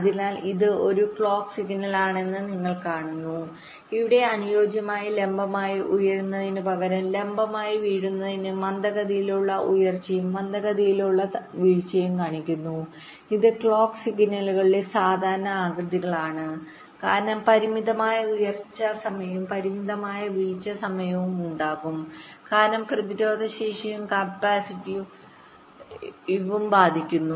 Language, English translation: Malayalam, so you see, this is a clock signal, so where, instead of ideal, vertically rising, vertically falling were showing slow rise and slow fall, which are the typical shapes of the clock signals, because there will be a finite rise time and finite falls time because of resistive and capacity affects, and the actual clock